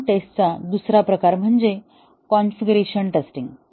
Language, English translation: Marathi, Another type of system test is the configuration testing